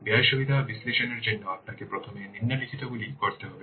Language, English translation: Bengali, For cost benefit analysis, you need to do the following